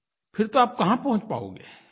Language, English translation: Hindi, Where will you reach then